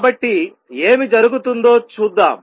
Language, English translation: Telugu, So, let us see what happens